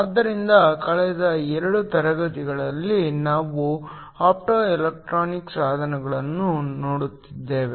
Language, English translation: Kannada, So, for the last couple of classes we have been looking at Optoelectronic devices